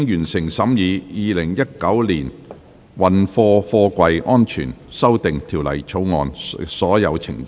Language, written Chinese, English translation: Cantonese, 全體委員會已完成審議《2019年運貨貨櫃條例草案》的所有程序。, All the proceedings on the Freight Containers Safety Amendment Bill 2019 have been concluded in committee of the whole Council